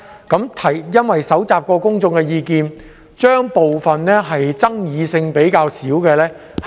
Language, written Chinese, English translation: Cantonese, 由於已蒐集公眾意見，所以會先行處理爭議性較少的修訂。, As public views have been collected the less controversial amendments will be dealt with first